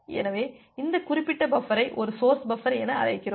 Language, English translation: Tamil, So, this particular buffer we call it as a source buffer